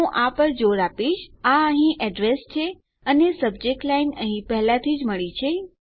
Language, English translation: Gujarati, I keep stressing this its the address here and weve already got our subject line here